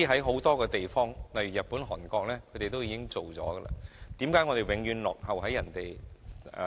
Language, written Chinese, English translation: Cantonese, 很多地方，例如日本和韓國均已經實行，為何香港永遠落後於人？, Many places including Japan and Korea have already adopted such practices how come Hong Kong always lags behind others?